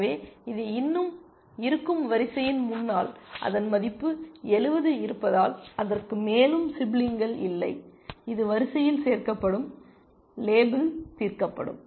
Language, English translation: Tamil, So, this would still be at the ahead of the queue because it has its value 70, it has no more siblings left so, this will get added to the queue and this will be get label solved